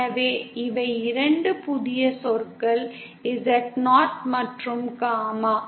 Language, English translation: Tamil, So these are 2 new terms that come, Z0 and gamma